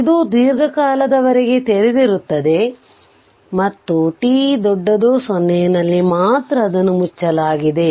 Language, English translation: Kannada, It has open for a long time and only at t greater than 0 it was closed